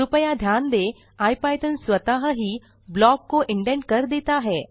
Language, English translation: Hindi, Please note that IPython automatically indents the block